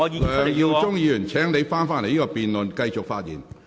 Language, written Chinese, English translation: Cantonese, 梁耀忠議員，請返回辯論的議題。, Mr LEUNG Yiu - chung please come back to the question of the debate